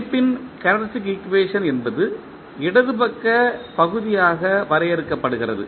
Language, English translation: Tamil, Characteristic equation of the system is defined as the left side portion